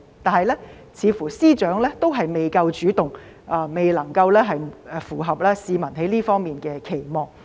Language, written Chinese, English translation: Cantonese, 可是，似乎司長仍未夠主動，未能符合市民在這方面的期望。, But it seems that the Secretary for Justice has not been proactive enough to meet public expectations in this regard